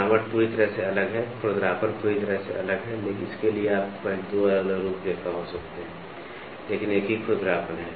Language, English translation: Hindi, The textures are completely different, the roughness is completely different, so you can have 2 different profiles, but have the same roughness value